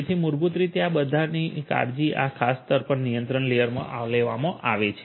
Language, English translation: Gujarati, So, all of these basically are taken care of in this particular layer the control layer